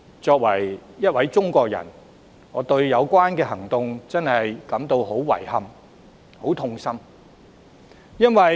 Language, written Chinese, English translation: Cantonese, 身為中國人，我對這種行動真的感到十分遺憾、痛心。, As Chinese I find such an action most regrettable and saddening